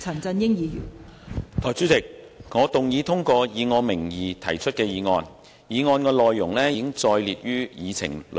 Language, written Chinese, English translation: Cantonese, 代理主席，我動議通過以我名義提出的議案，議案內容已載列於議程內。, Deputy President I move that the motion under my name as printed on the Agenda be passed